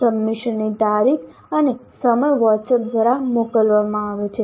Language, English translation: Gujarati, Date and time of submission are communicated through WhatsApp